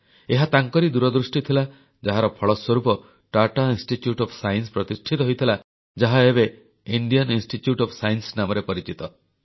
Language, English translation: Odia, It was his vision that culminated in the establishment of the Tata Institute of Science, which we know as Indian Institute of Science today